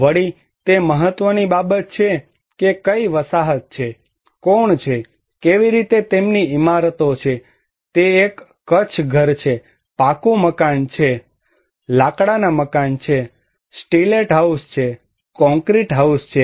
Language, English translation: Gujarati, Also, it matters that what kind of settlements, who are, how their buildings are there, it is a kutcha house, pucca house, wooden house, stilt house, concrete house